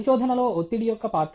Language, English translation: Telugu, Role of stress in research